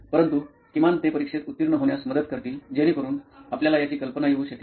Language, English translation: Marathi, But at least they will help you pass the exams, so you can have that idea of that